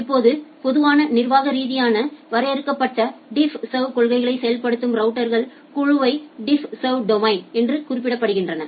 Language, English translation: Tamil, Now, a group of routers that implement a common administratively defined DiffServ policies they are referred to as a DiffServ domain